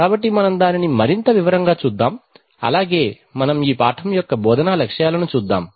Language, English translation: Telugu, So let us see that in greater detail, so as we usually do let us look at the instructional objectives of this lesson